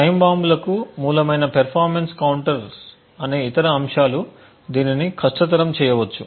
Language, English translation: Telugu, Other aspects which may make things difficult is the performance counters which may also be a source of time bombs